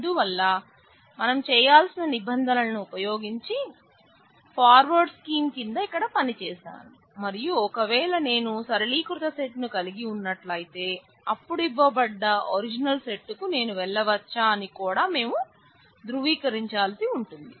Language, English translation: Telugu, So, using the rules we will need to do that I have worked that out here under the forward scheme and we would also need to establish that if I have the simplified set, then can I go to the original set that was given